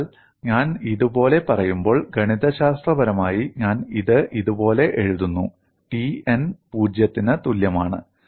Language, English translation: Malayalam, So, when I say like this, mathematically I would write it like this T n equal to 0